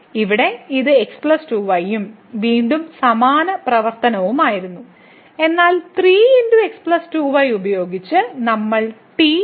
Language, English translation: Malayalam, So, here it was plus 2 and again same functionality, but with the 3 times plus 2 which we have replaced by